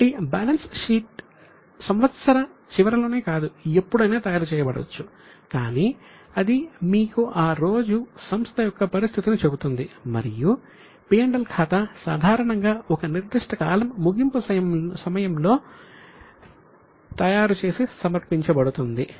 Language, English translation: Telugu, So, balance sheet it may be prepared at any time, not necessarily at the end of the year, but it gives you position as on that day and profit and loss account is normally prepared and presented at the end of a particular period